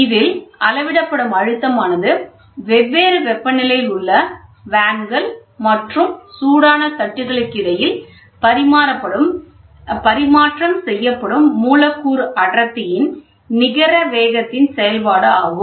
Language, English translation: Tamil, The pressure measured is a function of a net rate of exchange of momentum of molecular density, between the vanes and the hot plates, which are at different temperatures